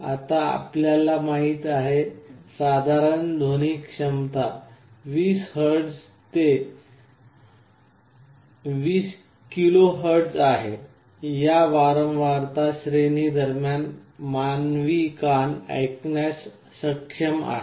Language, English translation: Marathi, Now, you know that the typical audio range is 20 Hz to 20 KHz, human ear is able to hear between this frequency range